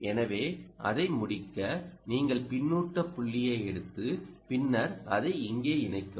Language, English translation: Tamil, so just to complete it, you take the feedback point and then connect it here